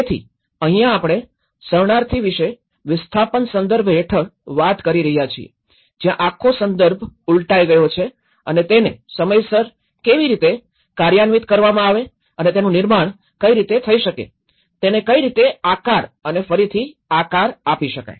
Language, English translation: Gujarati, So, here because we are talking about the refugee context under displacement where the whole context has been reversed out and how it is programmed in time and how it has been manifested, how it has been shaped and reshaped